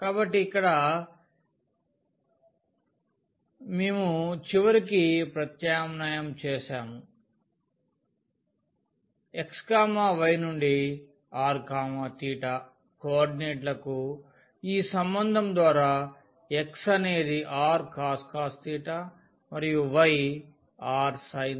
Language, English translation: Telugu, So, here also we have done eventually the substitution from xy to the r theta coordinates by this relation that x was r cos theta and y was sin theta